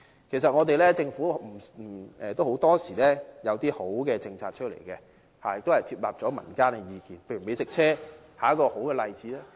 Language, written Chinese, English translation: Cantonese, 其實，政府很多時也有推出良好的政策，亦接納了民間的意見，美食車便是一個好例子。, In fact the Government also has some nice policies with public views incorporated from time to time and the introduction of food trucks is a good example